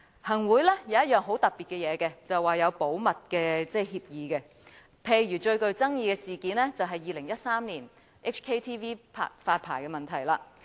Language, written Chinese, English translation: Cantonese, 行會有一樣很特別的東西，便是有保密協議，例如最具爭議的事件是2013年港視發牌的問題。, One thing special about the Executive Council is the Confidentiality Agreement . For example the most controversial issue was the issuance of licence to HKTVN in 2013